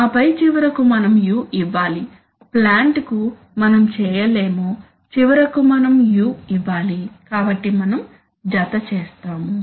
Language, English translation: Telugu, And then, finally we have to give u, we cannot do to the plant finally we have to give u, so we simply add